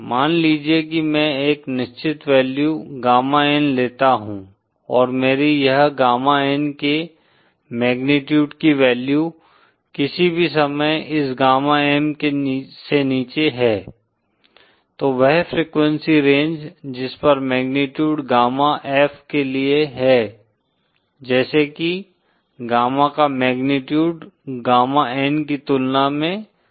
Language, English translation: Hindi, Suppose I choose a certain value gamma N and this is the value as say that any time my value of the magnitude of gamma in is below this gamma M, then that frequency range over which magnitude gamma that is for F such that magnitude of gamma in is lesser than gamma N